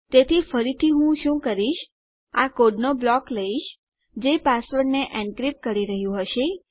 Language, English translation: Gujarati, So again what I have to do is take this block of code, that has been encrypting our page